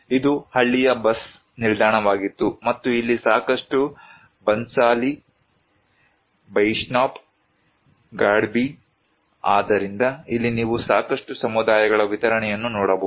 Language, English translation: Kannada, This was the village bus stop and here a lot of Banshali, Baishnab, Gadbi, so lot of distribution of communities are you can see here